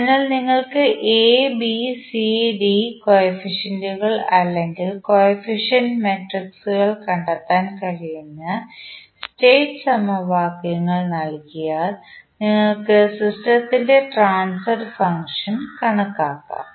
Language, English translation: Malayalam, So, if you are given the state equations where you can find out the A, B, C, D coefficients or the coefficient matrices you can simply calculate the transfer function of the system